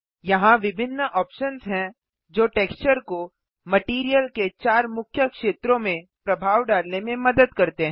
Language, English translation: Hindi, There are various options here that help the texture influence the material in four main areas